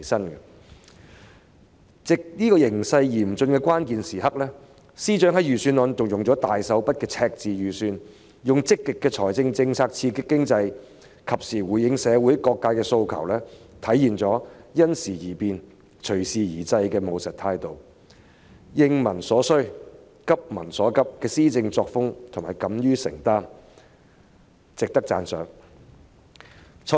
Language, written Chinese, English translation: Cantonese, 面對這個形勢嚴峻的關鍵時刻，司長在預算案中運用了大手筆的赤字預算，以積極的財政政策刺激經濟，及時回應社會各界的訴求，體現了因時而變、隨時而制的務實態度，應民所需、急民所急的施政作風，同時敢於承擔，是值得讚賞的。, Faced with this dire situation at such a critical juncture the Financial Secretary has tabled a Budget with a massive deficit so as to stimulate the economy through a proactive fiscal policy and respond timely to the aspirations of various social sectors . He has demonstrated a pragmatic attitude of adapting to changing circumstances and a governance style of addressing peoples needs and concerns and he has the courage to take responsibility at the same time . He is therefore worthy of our commendation